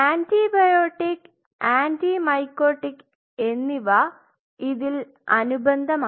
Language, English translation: Malayalam, This is supplemented by antibiotic and anti mycotic